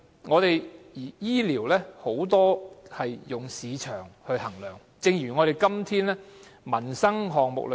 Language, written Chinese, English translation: Cantonese, 可是，醫療上許多時也是以市場價值來衡量，情況就如今天的民生項目般。, Regrettably more often than not medical development is driven by market value which is the same in the case of peoples livelihood issues